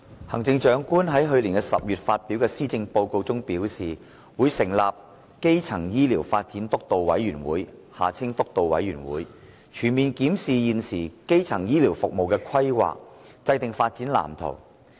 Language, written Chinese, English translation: Cantonese, 行政長官在去年10月發表的《施政報告》中表示，會成立基層醫療發展督導委員會，全面檢視現時基層醫療服務的規劃，制訂發展藍圖。, The Chief Executive indicated in the Policy Address delivered in October last year that a steering committee on primary healthcare development would be set up to comprehensively review the existing planning of primary healthcare services and to draw up a development blueprint